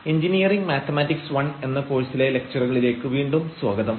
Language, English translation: Malayalam, So, welcome back to the lectures on Engineering Mathematics I and this is lecture number 19